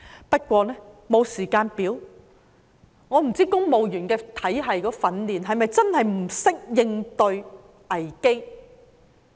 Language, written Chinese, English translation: Cantonese, 不過，沒有時間表，我不知道公務員體系的訓練是否真的不懂應對危機？, However there is no timetable . I have no idea whether civil service training results in inability to cope with crises